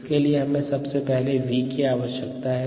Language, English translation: Hindi, for that we first need v